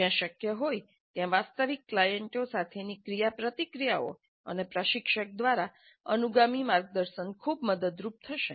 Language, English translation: Gujarati, Interactions with real clients were possible and subsequent guidance from instructor would be of great help